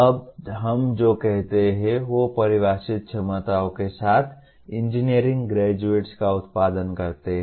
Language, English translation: Hindi, Now what we say, they produce engineering graduates with defined abilities